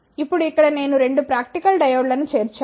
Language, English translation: Telugu, Now, here I have included the 2 practical diodes